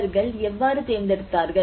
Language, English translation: Tamil, How they have chosen